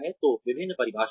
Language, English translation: Hindi, So, various definitions